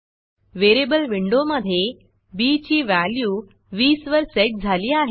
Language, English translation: Marathi, And inside the variable window, it has set b to be 20